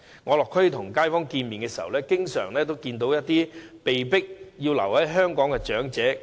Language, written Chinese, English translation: Cantonese, 我落區與街坊會面時，經常遇到一些被迫留在香港的長者。, When I meet with local residents in communities I often come across some elderly people who are forced to stay in Hong Kong